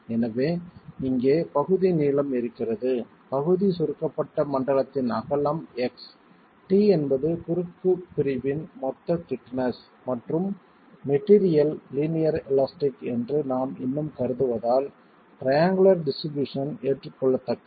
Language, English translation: Tamil, So the partial length here is the partial compressed zone is of length of width x, T being the total thickness of the cross section, and since we are still assuming that the material is linear, linear elastic, the triangle distribution is acceptable